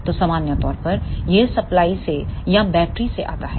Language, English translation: Hindi, So, in general it comes from the supply or from the battery